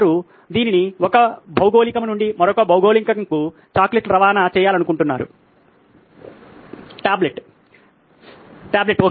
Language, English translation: Telugu, They wanted to transport this chocolates from one geography to another